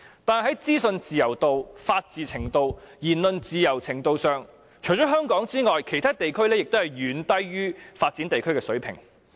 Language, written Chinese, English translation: Cantonese, 但是，在資訊自由度、法治程度、言論自由程度方面，除香港外，其他地區皆遠低於發展地區的水平。, But the degree of information freedom rule of law and also speech freedom in regions other than Hong Kong is far lower than that of developed regions